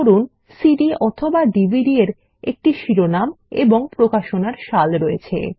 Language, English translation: Bengali, A CD or a DVD can have a title and a publish year for example